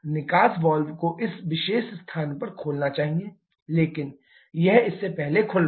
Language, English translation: Hindi, The exhaust valve should open at this particular location, but it is opening earlier than this